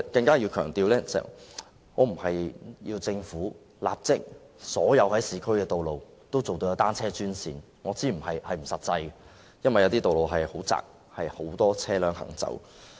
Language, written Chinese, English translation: Cantonese, 我要強調，我並非要求政府立即在所有市區道路設立單車專線，我知道這是不切實際的，因為有些道路很狹窄，有很多車輛行駛。, I need to emphasize that I am not asking the Government to immediately designate bicycles only lanes on all the roads in the urban areas . I know this is not practical because some roads are narrow with a lot of traffic